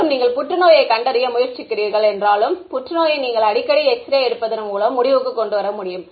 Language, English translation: Tamil, And, although you are trying to detect cancer you may end of getting cancer because of getting very frequent X rays